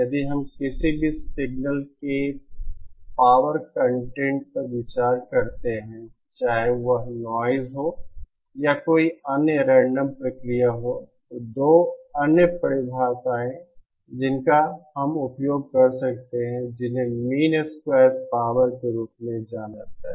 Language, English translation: Hindi, If we consider a power content in any signal whether it is noise or any other random process, then 2 other definitions that we can use is what is known as mean square power